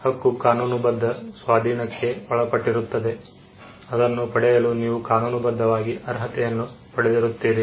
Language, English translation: Kannada, A right refers to a legal entitlement, something which you are entitled to get legally